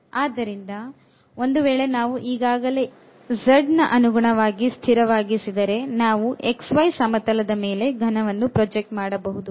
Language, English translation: Kannada, So, if we have fixed already with respect to z then we can project the geometry, the volume to the xy plane